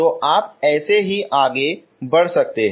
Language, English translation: Hindi, So like that you can go on